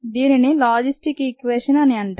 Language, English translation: Telugu, the logistic equation